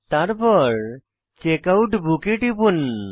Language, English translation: Bengali, Click on Checkout Book